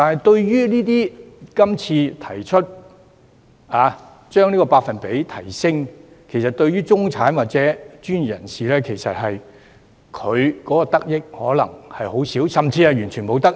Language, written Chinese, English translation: Cantonese, 然而，今次提升百分比，中產或專業人士的得益可能卻只有很少，甚至完全沒有得益。, Nevertheless the middle - class or professionals may benefit very little or even nothing at all from the current percentage increase